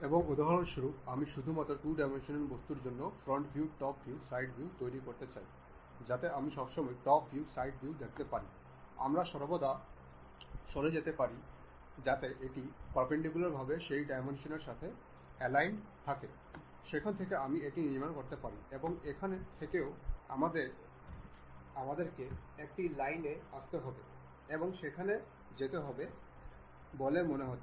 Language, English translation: Bengali, And, for example, I would like to construct something like for just 2 dimensional object if I would like to really construct something like front view, top view, side view what I can always do is the top view, side view I can always move so that it aligns with that dimension in a perpendicular way I can really go from there I can construct and from here also we have a line supposed to come from and go